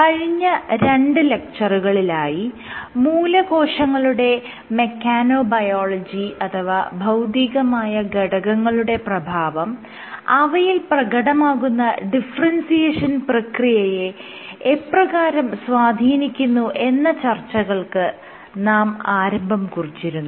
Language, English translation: Malayalam, So, in the last two classes, we had started discussing about mechanobiology of stem cells or how physical factors can influence stem cell differentiation